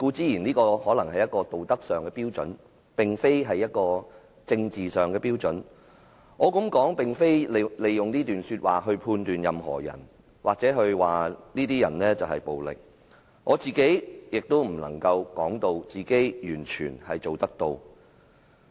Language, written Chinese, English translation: Cantonese, 以上所說固然是道德標準而非政治標準，我這樣說也並非旨在利用這段說話判斷任何人或指某些人暴力，更不能說自己能夠完全做得到。, Those mentioned above are moral standard but not political standard . I say so not because I intend to use these words to judge anybody or accuse a particular person for being violent . Nor can I say that I can fully meet such standard myself